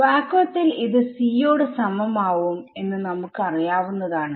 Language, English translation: Malayalam, And I know that this is going to be equal to c in vacuum we know this already